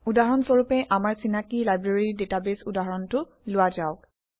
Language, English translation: Assamese, For example, let us consider our familiar Library database example